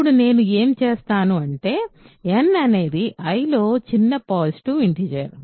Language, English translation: Telugu, Now, what I will do is let n be the smallest positive integer in I ok